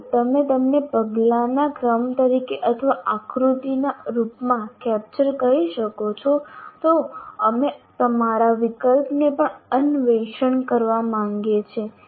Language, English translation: Gujarati, If you can capture them as a sequence of steps or in the form of a diagram, we would like to kind of explore your option as well